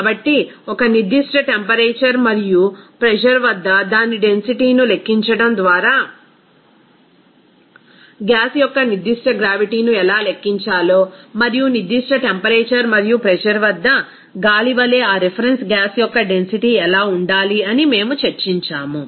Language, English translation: Telugu, So, we have discussed that how to calculate the specific gravity of a gas just by calculating its density at a certain temperature and pressure and also what should be the density of that reference gas here like air at the particular temperature and pressure